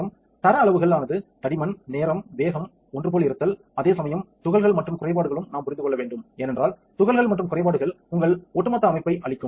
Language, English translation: Tamil, And the quality measures are the thickness, the time, speed, uniformity while particles and defects are something that we need to also understand because the particles and defects will destroy your overall pattern